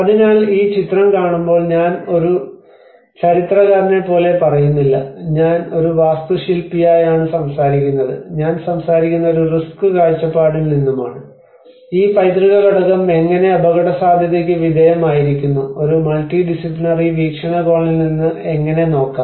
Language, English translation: Malayalam, \ \ \ So, when you see at this image, I am not talking about as an historian, I am not talking about as an architect, I am talking from a risk perspective, how this heritage component subjected to risk and how one can look at from a multidisciplinary perspective